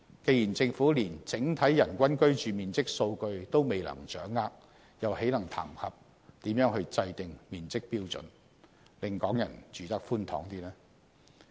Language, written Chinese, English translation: Cantonese, 既然政府連整體人均居住面積數據都未能掌握，還談甚麼制訂面積標準，令港人住得更寬敞？, If the Government does not even have any data on the overall average living space per person in Hong Kong how can it formulate a floor area standard or improve the living space for Hong Kong people?